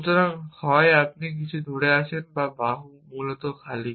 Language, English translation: Bengali, So, either you are holding something or arm is empty essentially